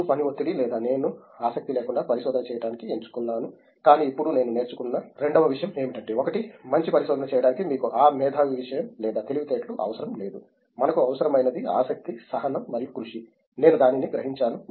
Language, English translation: Telugu, Then because of work pressure or whatever I opted to do research without having any interest, but now the two thing that I learnt is one is you need not have that genius thing or intelligence to do good research only thing that we need is interest, patience and hard work, so that I realized that